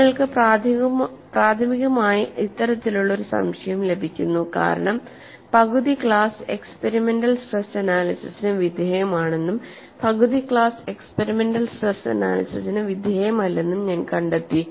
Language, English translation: Malayalam, You are primarily getting this kind of a doubt, because I find half the class is exposed to experimental stress analysis and half the class is not exposed to experimental stress analysis